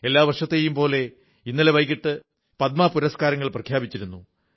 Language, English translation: Malayalam, Like every year, last evening Padma awards were announced